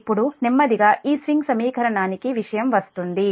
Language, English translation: Telugu, now will come to your slowly and slowly will come to this swing equation